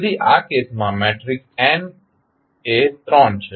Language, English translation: Gujarati, So, the matrix n in this case is 3